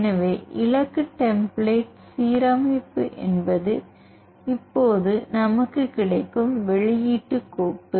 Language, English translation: Tamil, So, the target template alignment is the output file we go it now